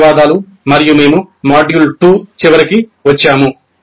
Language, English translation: Telugu, Thank you and we come to the end of module 2